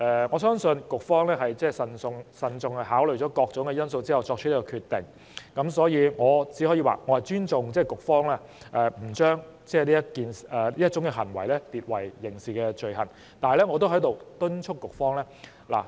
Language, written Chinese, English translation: Cantonese, 我相信局方是慎重考慮過各種因素後，才作出這個決定，故我會尊重局方不將這種行為列為刑事罪行的決定。, I believe that the Bureau made the decision after careful consideration of various factors so I respect the Bureaus decision not to specify such an act as a criminal offence